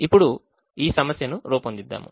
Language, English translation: Telugu, now let us formulate this problem